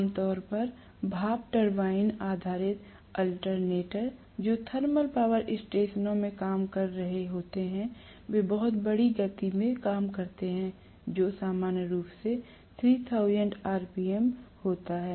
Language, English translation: Hindi, Normally the steam turbine based alternators, which are working in thermal power stations work at extremely large speed, normally which is 3000 rpm